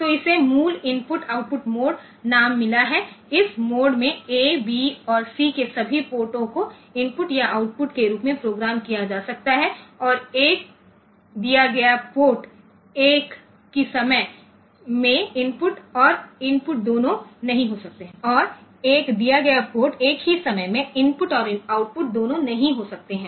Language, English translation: Hindi, So, they so much used that it is called it has got the name basic input output mode, in this mode, all ports of A, B and C can be programmed as input or output and a given port cannot be both the input and the output at the same time ok